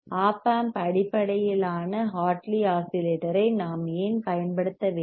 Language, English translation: Tamil, Why we have to use Op amp based Hartley oscillator